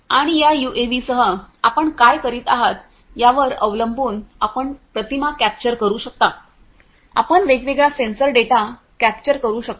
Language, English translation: Marathi, And depending on what you are doing with this UAV you can capture images, you can capture different sensor data